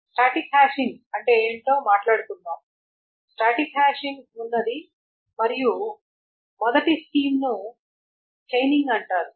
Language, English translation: Telugu, So there is static hashing and the first scheme there is called the chaining